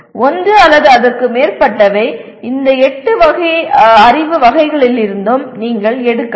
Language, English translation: Tamil, One or more actually you can take from the, these 8 knowledge categories